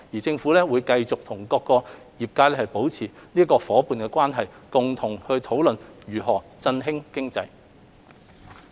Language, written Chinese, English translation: Cantonese, 政府會繼續與各界保持夥伴關係，商討如何振興經濟。, The Government will continue to maintain partnerships with different sectors in forging the way forward to revive the economy